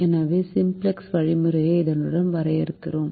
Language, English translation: Tamil, so let us map the simplex algorithm with this now